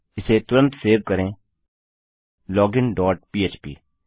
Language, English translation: Hindi, Lets save this quickly Login dot php